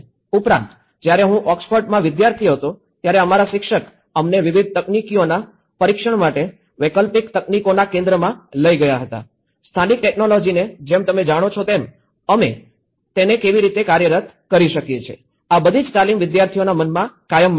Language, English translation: Gujarati, Also, when I was a student in Oxford, my faculty have taken us to the centre for alternative technologies to test various technologies, the local technologies you know how we can make it work so, this is all the hands on training which will remain in the students mind forever